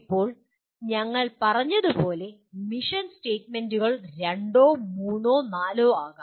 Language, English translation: Malayalam, Now mission statements can be two, three, four as we said